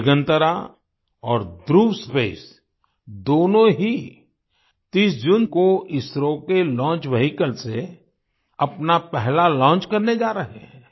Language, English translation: Hindi, Both Digantara and Dhruva Space are going to make their first launch from ISRO's launch vehicle on the 30th of June